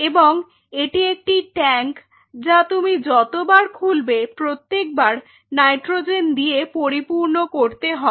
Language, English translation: Bengali, And this is a tank which has to be replenished time to time with the with nitrogen as your every time you are opening it